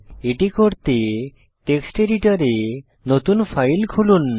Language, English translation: Bengali, To do so open the new file in Text Editor